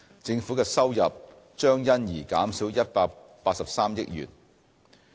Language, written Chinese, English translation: Cantonese, 政府的收入將因而減少183億元。, Consequently Government revenue will be reduced by 18.3 billion